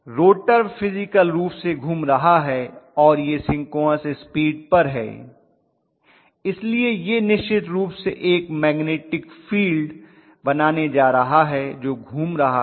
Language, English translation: Hindi, The rotor is revolving physically and that is at synchronous speed, so that is definitely going to create a magnetic field which is revolving in nature